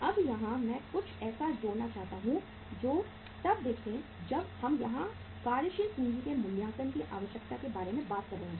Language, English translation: Hindi, Now here I would like to say uh add something that see when we are talking about the here assessment of the working capital requirement